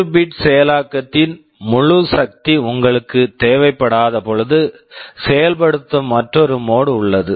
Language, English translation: Tamil, But there is another mode of execution when you do not need the full power of 32 bit processing